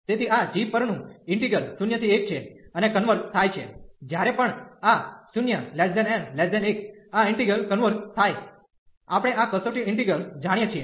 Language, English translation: Gujarati, So, the integral over this g 0 to 1 and this converges whenever this n is between 0 and 1, this integral converges we know this test integral